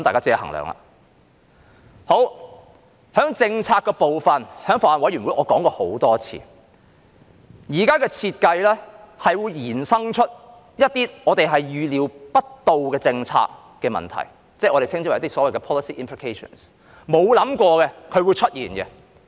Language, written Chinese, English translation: Cantonese, 在政策的部分，我在法案委員會已多次指出，現時的設計是會衍生一些我們預料不到的政策問題，即所謂的 policy implications， 是大家沒有想過會出現的。, With respect to the policy as I repeatedly pointed out at the Bills Committee the current design will give rise to some unforeseeable policy problems or the so - called policy implications that we have not expected